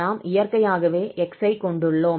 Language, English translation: Tamil, So we will apply just with respect to x